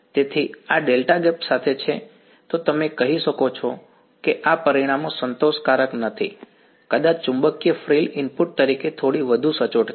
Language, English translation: Gujarati, So, this is with delta gap then you can say these results are not satisfactory, may be the magnetic frill is little bit more accurate as an input